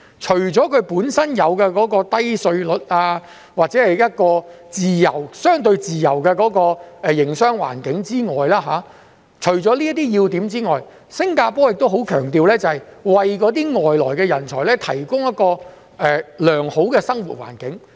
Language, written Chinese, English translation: Cantonese, 除了它們本身的低稅率及相對自由的營商環境這些要點外，新加坡亦很強調要為外來人才提供良好生活環境。, Besides a low tax regime and a relatively free business environment Singapore has put emphasis on the provision of a good living environment for foreign talents